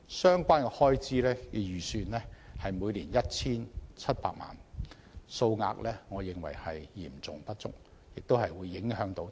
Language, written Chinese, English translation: Cantonese, 相關開支預算為每年 1,700 萬元，我認為數額嚴重不足，影響推廣的內容和成效。, I consider the relevant annual estimated expenditure of 17 million far from adequate which will affect the content and effectiveness of promotional efforts